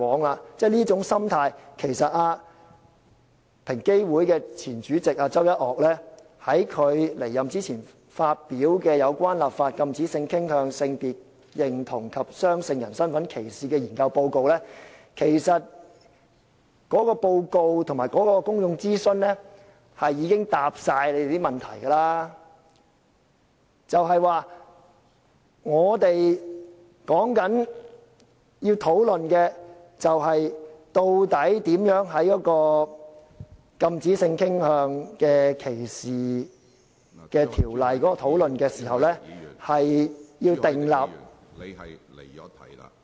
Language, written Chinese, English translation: Cantonese, 對於這種心態，其實平等機會委員會在其前主席周一嶽離任前發表"有關立法禁止性傾向、性別認同及雙性人身份歧視的研究報告"的內容和所進行的公眾諮詢，已經全部回答了大家的問題，也就是說，我們要討論的是究竟如何在討論禁止性傾向歧視的條例時，訂立......, Regarding this mindset actually the contents of the Report on Study on Legislation against Discrimination on the Grounds of Sexual Orientation Gender Identity and Intersex Status published by the Equal Opportunities Commission EOC before the departure of its former Chairman Dr York CHOW and the public consultation conducted for this purpose have answered all the questions of Members . In other words what we have to discuss is how when discussing legislation against discrimination on the ground of sexual orientation we should draw up